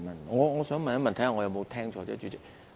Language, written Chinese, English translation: Cantonese, 我想問一問，看看我有沒有聽錯，主席。, I want to make sure if I got it right President